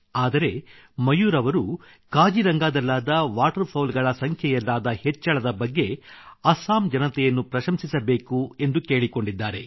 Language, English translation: Kannada, But Mayur ji instead has asked for appreciation of the people of Assam for the rise in the number of Waterfowls in Kaziranga